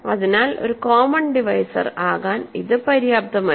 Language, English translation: Malayalam, So, it is not enough to be a common divisor